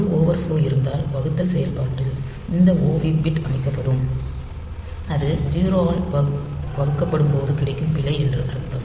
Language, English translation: Tamil, If there is an overflow, the division operation then if this OV bit is set so that will mean that there was a divide by 0 error, and this carry will always be set to 0